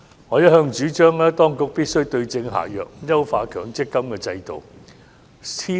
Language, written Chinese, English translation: Cantonese, 我一向主張當局必須對症下藥，優化強積金的制度。, I have all along advocated that the Administration must prescribe the right remedies to enhance the MPF System